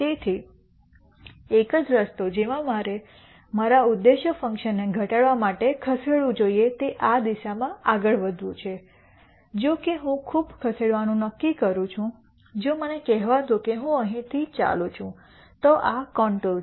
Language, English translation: Gujarati, So, the one way in which I should move to decrease my objective function is to move in this direction because however, much I decide to move if I let us say I move here then this is the contour